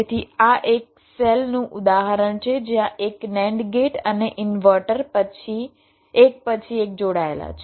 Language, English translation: Gujarati, so this is the example of a cell where nand gate and an, the inverter to connected one after to the other